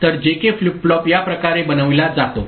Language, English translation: Marathi, So, this is how the JK flip flop is made right